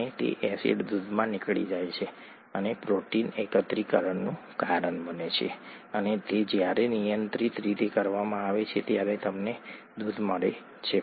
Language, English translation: Gujarati, And that acid gets out into milk and causes protein aggregation and that when done in a controlled fashion gives you milk